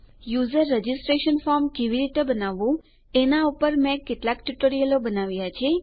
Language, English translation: Gujarati, I have created some tutorials on how to make a user registration form